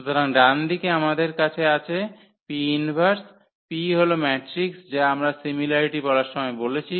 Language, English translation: Bengali, So, the right hand side we have P inverse, P is that matrix which we are talking about the similarity there